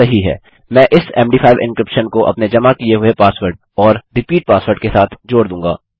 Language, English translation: Hindi, I will add this MD5 encryption around my submitted password and repeat password